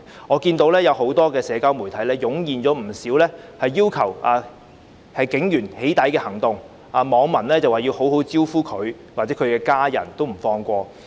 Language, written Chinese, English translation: Cantonese, 我看到很多社交媒體湧現不少把警員"起底"的行動，網民說要好好"招呼"他們，甚至連他們的家人也不放過。, I noticed a wave of doxing campaigns targeting police officers on a number of social media platforms with netizens vowing to take care of them nicely not even sparing their families